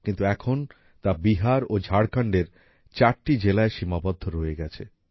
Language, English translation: Bengali, But now this disease is confined to only 4 districts of Bihar and Jharkhand